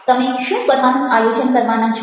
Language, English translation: Gujarati, what is it that you going to do